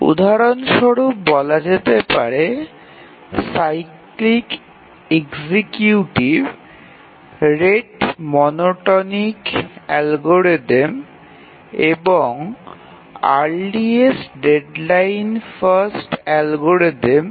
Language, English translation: Bengali, For example the cyclic executives, the rate monotonic algorithm and the earliest deadline first algorithm